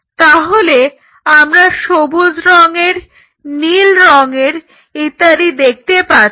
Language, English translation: Bengali, So, we see green colored blue colored